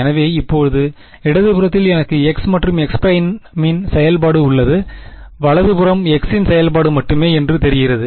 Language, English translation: Tamil, So now, on the left hand side I have a function of x and x prime, right hand side seems to be only a function of x